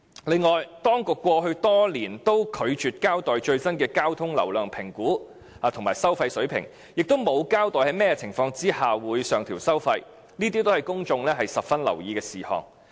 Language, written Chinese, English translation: Cantonese, 另外，當局過去多年均拒絕交代最新的交通流量評估及收費水平，亦沒有交代在甚麼情況下會上調收費，這些均是公眾十分留意的事項。, And in the past many years the Government has refused to give an account of the latest traffic flow volume assessment and toll levels . It has not told us under what circumstances the tolls will be increased . All of these are things that the public care very much about